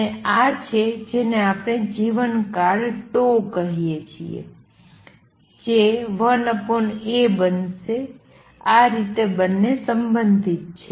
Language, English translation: Gujarati, And this is what we call the lifetime tau is going to be 1 over A this how the two are related